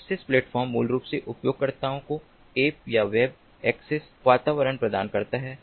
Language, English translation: Hindi, access platform basically provides app or web access environment to users